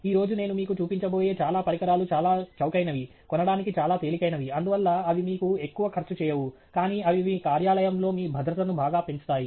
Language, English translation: Telugu, And most of the things that I am going to show you today are things that are very cheap, very easy to buy, and therefore, they donÕt cost you much, but they greatly enhance the safety for you in your work place